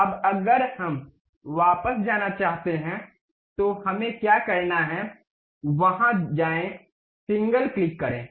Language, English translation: Hindi, Now, if we want to go back, what we have to do, go there click the single one